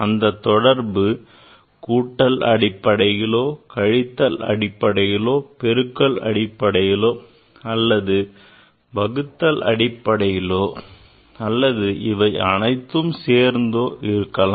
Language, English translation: Tamil, That relation can be in terms of summation, in terms of in terms of difference, in terms of multiplication, or division or together some relation ok